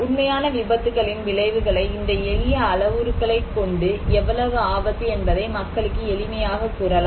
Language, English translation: Tamil, The consequence of real accidents, these are simple parameters to tell people how much risk is there